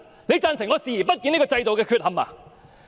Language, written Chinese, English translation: Cantonese, 你贊成我視而不見這制度的缺憾嗎？, Do you agree that I should turn a blind eye to the defects of the system?